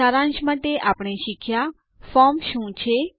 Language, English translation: Gujarati, To summarize, we learned: What a form is